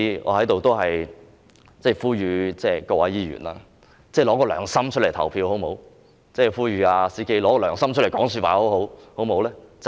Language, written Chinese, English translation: Cantonese, 我在此呼籲各位議員，拿出良心來投票，亦呼籲 "CK"， 拿出良心來說話，好嗎？, I would like to call upon all Members to vote according to their conscience and I also call upon CK to speak according to his conscience